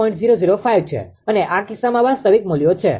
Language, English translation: Gujarati, 005 real values for this case